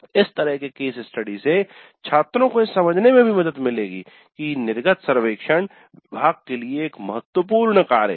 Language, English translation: Hindi, Such case studies would also help convince the students that the exit survey is a serious business for the department